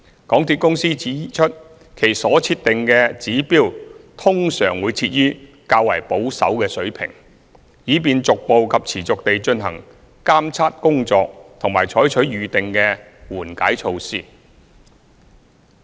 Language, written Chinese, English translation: Cantonese, 港鐵公司指出，其所設定的指標通常會設於較保守的水平，以便逐步及持續地進行監測工作及採取預定的緩解措施。, MTRCL pointed out that the established trigger levels are normally set at a more conservative level so that progressive and continuous monitoring work can be done and the predetermined mitigation measures can be adopted